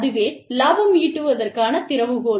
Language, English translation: Tamil, That is the key to, profit making